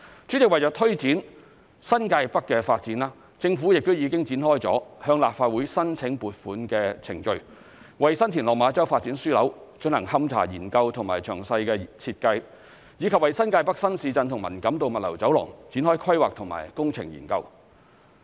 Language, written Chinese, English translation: Cantonese, 主席，為了推展新界北發展，政府亦已展開向立法會申請撥款的程序，為新田/落馬洲發展樞紐進行勘查研究及詳細設計，以及為新界北新市鎮及文錦渡物流走廊展開規劃及工程研究。, President in order to drive the development of New Territories North the Government has commenced the procedures for making a funding application to the Legislative Council to undertake investigation and detailed works design for the Development Node as well as commencing planning and engineering studies for the new towns of New Territories North and Man Kam To Logistics Corridor